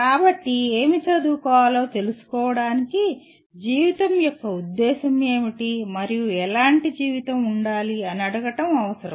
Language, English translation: Telugu, So to know what to educate, it becomes necessary to ask what can be the purpose of life and what sort of life it should be